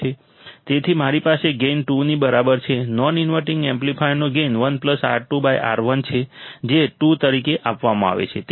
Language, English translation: Gujarati, So, I have gain equal to 2, right, non inverting amplifier gain is 1 plus R 2 by R 1 is given as 2